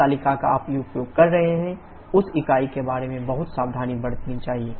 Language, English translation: Hindi, The table that you are using which unit is followed be very careful about that